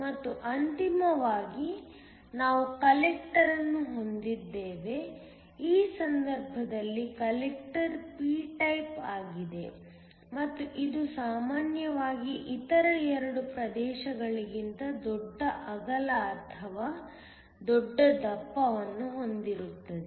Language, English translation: Kannada, And then finally, we have a Collector, in this case the collector is also p type and it usually has a larger width or a larger thickness than the other 2 regions